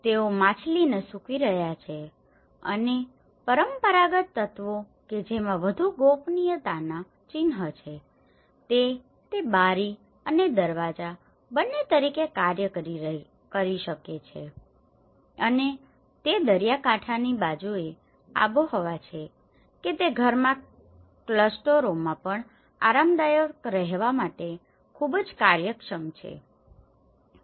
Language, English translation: Gujarati, They are drying of the fish and also the traditional elements which have the more privacy symbols it could act both as a window and door and it is climatically on the coastal side it is very efficient to give comfortable stay in the house and even the clusters